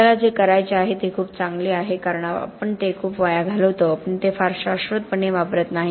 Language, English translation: Marathi, What we have to do is do it a lot better because we waste a lot of it, we do not use it very sustainably